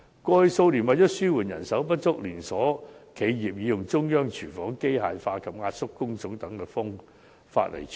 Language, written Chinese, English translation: Cantonese, 過去數年，為了紓緩人手不足，連鎖企業已採用中央廚房、機械化及壓縮工種等方法處理。, In the past couple of years in order to ease the manpower shortage chain enterprises have resorted to such means as central kitchens mechanization compressed job types and so on